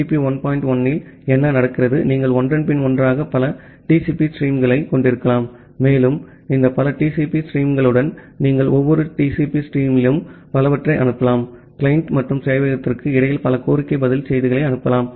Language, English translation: Tamil, 1 that you can have multiple TCP streams one after another and to with this multiple TCP streams you can send multiple with every TCP stream you can send multiple request response messages in between the client and the server